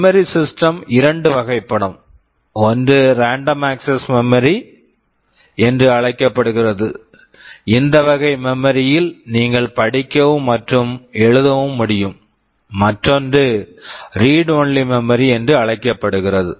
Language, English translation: Tamil, Talking about the memory system broadly speaking there can be two kinds of memory; one which is called random access memory where you can both read and write, and the other is read only memory when you store something permanently you can only read from them